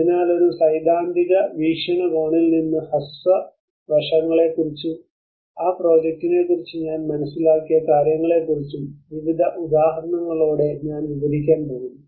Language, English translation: Malayalam, So I am going to describe about a brief aspects which described from a theoretical perspective along with various understanding of what I have understood about that project with various examples